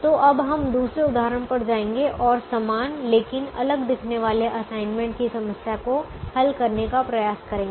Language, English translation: Hindi, so we'll now go to the second example and try to solve a similar but different looking assignment problem